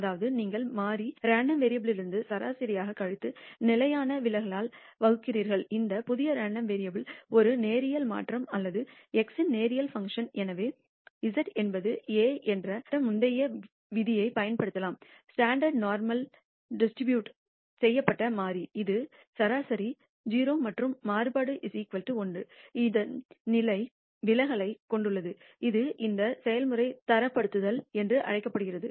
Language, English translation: Tamil, That is, you subtract the mean from the variable random variable and divide it by the standard deviation that, this new random variable is a linear transformation or a linear function of x and therefore, we can apply the previous rule to show that z is a standard normal distributed variable which means it has a mean 0 and a standard deviation of variance equal to 1, this is this process is also known as standardization